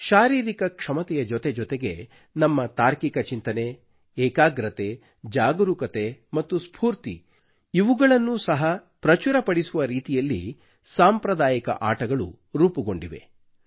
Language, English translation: Kannada, Traditional sports and games are structured in such a manner that along with physical ability, they enhance our logical thinking, concentration, alertness and energy levels